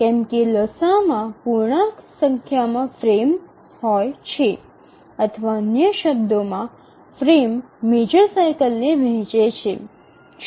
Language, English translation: Gujarati, We said that the LCM contains an integral number of frames or in other words the frame divides the major cycle